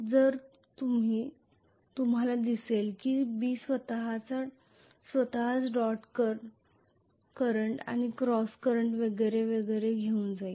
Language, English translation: Marathi, So you would see that B itself will be carrying dot current and cross current and so on and so forth